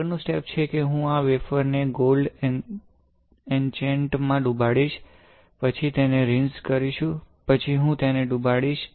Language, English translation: Gujarati, The next step is I will dip this wafer in the gold etchant, then rinse it then I will dip